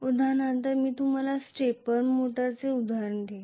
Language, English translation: Marathi, For example I will give you an example of a stepper motor